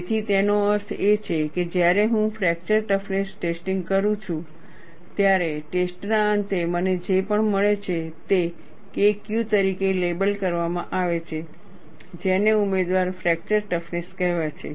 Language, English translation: Gujarati, So, that means, when I perform a fracture toughness testing, at the end of the test, whatever I get is labeled as K Q; which is called candidate fracture toughness